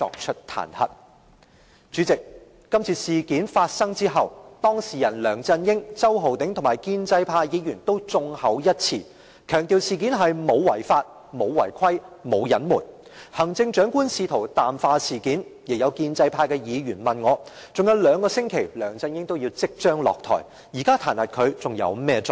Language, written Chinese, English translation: Cantonese, 代理主席，今次事件發生後，當事人梁振英、周浩鼎議員和建制派議員均眾口一詞，強調事件沒有違法、沒有違規，亦沒有隱瞞，行政長官試圖淡化事件，亦有建制派的議員問我，尚有兩個星期梁振英便要落台，現在彈劾他，還有甚麼作用？, Deputy President after the incident came to light LEUNG Chun - ying Mr Holden CHOW and all pro - establishment Members unanimously stressed that there was no violation of the law or rules and there was no cover - up . The Chief Executive tried to play down the incident . Some pro - establishment Members have asked me what purpose it serves to impeach LEUNG Chun - ying who will step down in two weeks